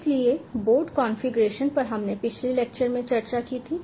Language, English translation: Hindi, so board configuration we had discussed in the previous lecture